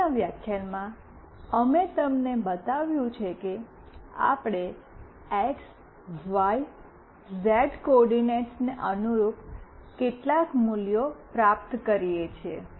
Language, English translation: Gujarati, In the previous lecture, we have shown you that we are receiving some values corresponding to x, y, z coordinates